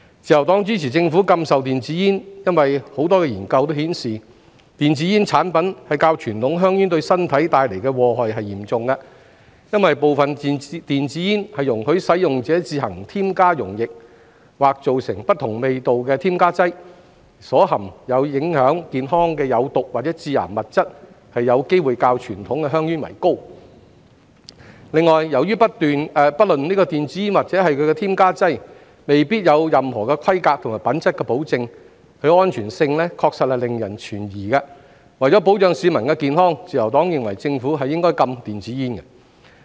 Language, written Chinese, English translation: Cantonese, 自由黨支持政府禁售電子煙，因為多個研究顯示，電子煙產品較傳統香煙對身體帶來的禍害更嚴重，因部分電子煙容許使用者自行添加溶液和造成不同味道的添加劑，所含有影響健康的有毒或致癌物質有機會較傳統香煙為高；另外，由於不論電子煙或其添加劑均未必有任何規格及品質保證，其安全性確實令人存疑，為保障市民的健康，自由黨認為政府應禁電子煙。, Since some e - cigarettes allow users to add their own solutions or additives to create different flavours they may contain more toxic or carcinogenic substances which affect health when compared to conventional cigarettes . Furthermore since there may not be any specifications and quality assurance for e - cigarettes or their additives their safety is indeed questionable . To protect public health the Liberal Party considers that the Government should ban e - cigarettes